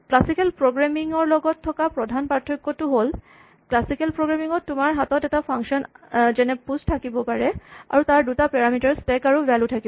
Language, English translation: Assamese, Rather than the kind of the main difference from classical programming is, in classical programming you would have for instance a function like say push define and it will have two parameters typically a stack and a value